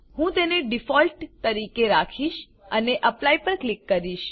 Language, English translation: Gujarati, I will keep it as Default and click on Apply